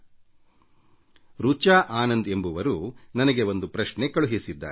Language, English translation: Kannada, One Richa Anand Ji has sent me this question